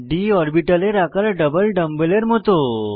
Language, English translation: Bengali, d orbitals are double dumb bell shaped